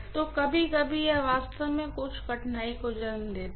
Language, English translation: Hindi, So, sometimes that can actually give rise to some difficulty, right